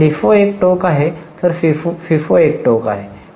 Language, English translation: Marathi, Now, LIFO is one extreme, FIFO is another extreme